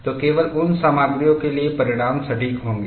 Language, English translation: Hindi, So, only for those materials the results will be exact